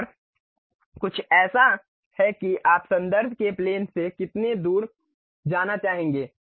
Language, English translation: Hindi, And, there is something like how far you would like to really go from the plane of reference